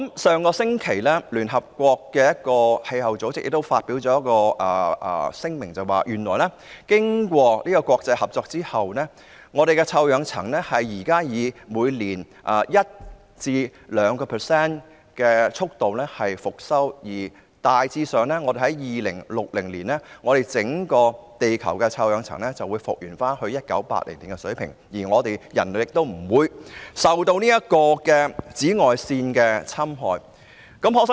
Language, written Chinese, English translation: Cantonese, 上星期，聯合國一個氣候組織亦發表一份聲明，表示經過國際合作，臭氧層現時正在以每年 1% 至 2% 的速度復修，大約在2060年，整個地球的臭氧層便能復原至1980年的水平，人類亦不會受到紫外線侵害。, Last week a United Nations body on climate change issued a statement stating that through international cooperation the ozone layer is currently being repaired at a rate of 1 % to 2 % each year and the entire ozone layer of the Earth can be restored to the 1980 level around 2060 by then human beings will not be exposed to ultraviolet rays